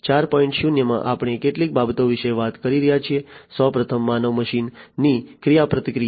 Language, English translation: Gujarati, 0 we are talking about few things, first of all human machine interaction